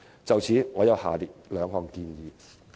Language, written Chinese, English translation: Cantonese, 就此，我有下列兩項建議。, In this connection I have two proposals as follows